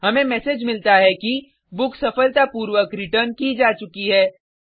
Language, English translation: Hindi, We get the success message that book has been successfully returned